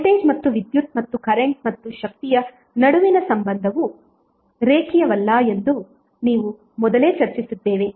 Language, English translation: Kannada, Now that we have discussed earlier that the relationship between voltage and power and current and power is nonlinear